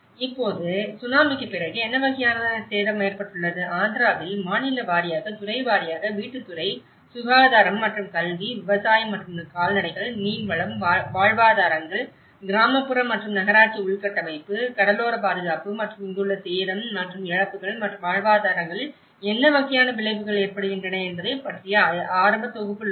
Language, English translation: Tamil, Now, the way after the Tsunami, what kind of damage has been occurred, this is how you see the preliminary summary in Andhra Pradesh by state wise by sector wise, by housing sector, health and education, the agriculture and livestock, fisheries, livelihoods, rural and municipal infrastructure, coastal protection and this is where the damage and as well as the losses and what kind of effects on the livelihoods